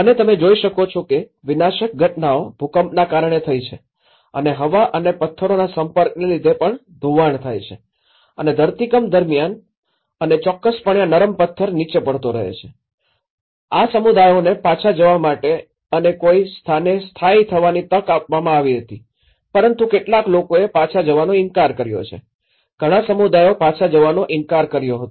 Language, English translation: Gujarati, And you can see that destructions have happened because of the frequent earthquakes and also the erosion due to the exposure to the air and also the rocks, the soft rock keeps falling down and a lot of destruction over there and during the earthquakes and of course, these communities were given an opportunity to go back and resettle in someplace but some have they denied going back, many of the communities they denied going back